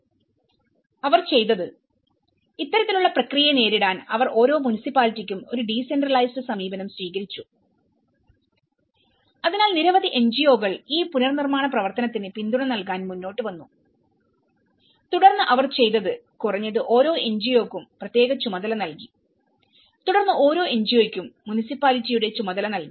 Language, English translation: Malayalam, And what they did was, they, in order to meet this kind of process they adopted a decentralized approach so for each of the municipality, so the many NGOs came forward to support for this reconstruction activity and then what they did was at least they have given each NGO a particular task and then each one NGO was assigned in charge of the municipality